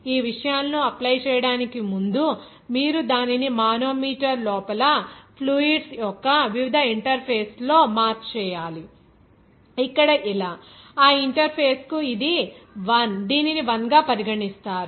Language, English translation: Telugu, Before going to apply these things, you have to mark it out at different interfaces of the fluids inside the manometer, here like this, her, this is 1 that interface, this is regarded as 1